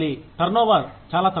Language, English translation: Telugu, The turnover is relatively low